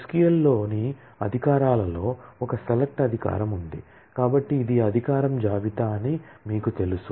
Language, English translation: Telugu, The privileges on SQL there is a select privilege, which is so you know this is the privilege list